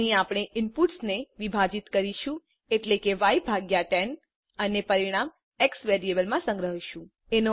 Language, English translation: Gujarati, So i will move on to the Switch statements Here, we divide the inputs i.e y by 10 and the result is stored in the variable x